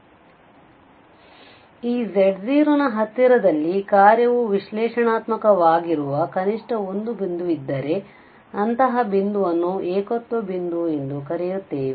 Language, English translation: Kannada, So, there should be at least one point where in the neighbourhood of this z0 where the function is analytic, then we call such a point a singular point